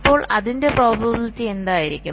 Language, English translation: Malayalam, so what will be the probability of that